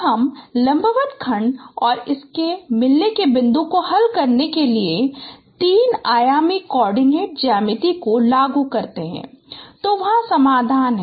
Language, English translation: Hindi, Now you apply the three dimensional coordinate geometry to solve the perpendicular segment and its midpoint